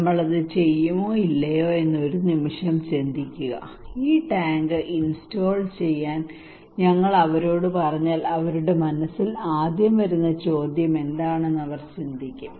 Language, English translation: Malayalam, Just think about for a seconds that will we do it or not so if we ask them to install this tank what they will think what first question will come to their mind